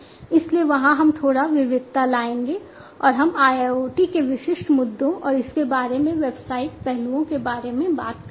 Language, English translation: Hindi, So, there we will diversify a bit, and we will talk about the specific issues of IIoT, and the business aspects concerning it